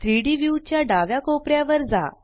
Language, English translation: Marathi, Go to the left hand corner of the 3D view